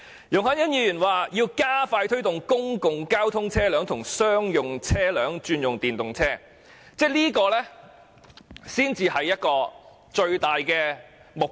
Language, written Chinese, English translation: Cantonese, 容海恩議員建議"加快推動公共交通車輛及商用車輛轉用電動車"，我認為這才是最大目標。, Ms YUNG Hoi - yan proposes to expedite the promotion of the switch of public transport and commercial vehicles to EVs . I think this should rather be the major objective